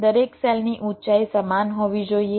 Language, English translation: Gujarati, each cells must have the same height all this cells